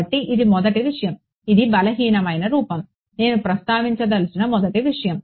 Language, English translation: Telugu, So, that is a first thing this is the weak form that is a first thing I want to mention